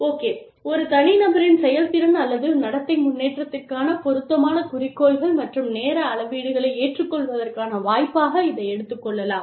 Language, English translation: Tamil, Then, as an opportunity, to agree to suitable goals and time scales, for improvement in an individual's performance or conduct